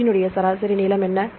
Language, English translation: Tamil, So, what is the average length of the protein